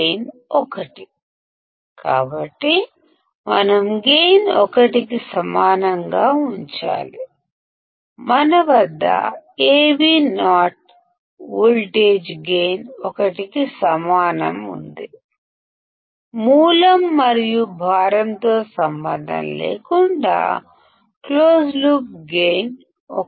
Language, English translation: Telugu, Gain is 1; so, we to have make the gain equal to 1, we have Avo voltage gain equal to 1; the closed loop gain is unity regardless of the source or the load